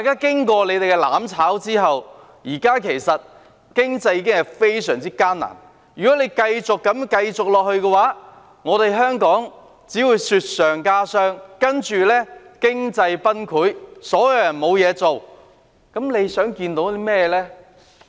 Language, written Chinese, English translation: Cantonese, 經過他們的"攬炒"，現時經濟已經非常艱難，如果他們繼續這樣，香港只會雪上加霜，然後經濟崩潰，所有人失去工作，他們究竟想看到甚麼情況呢？, If they continue to act in this way it will only add to the miseries of Hong Kong . Then the economy will collapse and everyone will lose his job . What kind of situation do they really wish to see?